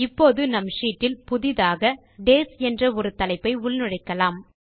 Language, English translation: Tamil, Now lets insert a new heading named Days in our sheet